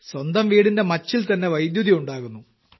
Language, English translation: Malayalam, Electricity is being generated on the roof of their own houses